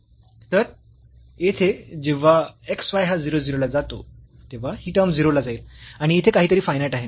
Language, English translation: Marathi, So, here when x y goes to 0 0 so, this term will go to 0 and something finite is sitting here